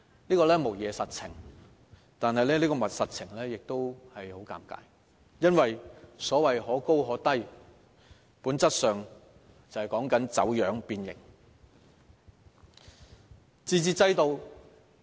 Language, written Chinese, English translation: Cantonese, 這無疑是實情，但這個實情也十分尷尬，因為所謂的可高可低，本質上說的便是走樣、變形。, While this is indeed a fact this fact is very embarrassing for the reference to flexibility essentially means that the principles will be distorted and twisted